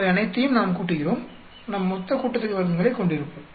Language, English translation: Tamil, We add all of them, we will end up having total sum of squares